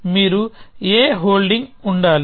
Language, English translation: Telugu, So, you must be holding a